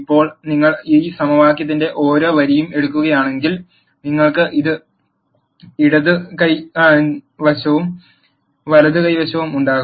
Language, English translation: Malayalam, Now if you take each row of this equation you will have a left hand side and the right hand side